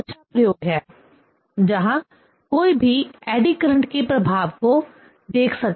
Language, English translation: Hindi, This is the very nice experiment where one can see the effect of the eddy current